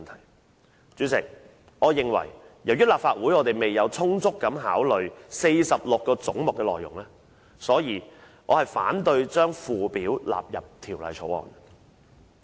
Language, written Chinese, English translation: Cantonese, 代理主席，由於立法會未有充分考慮46個總目的內容，所以我反對將附表納入《2018年撥款條例草案》。, Deputy Chairman as the Legislative Council has not given due consideration to the contents of the 46 heads in question I object to incorporating the Schedule into the Appropriation Bill 2018 the Bill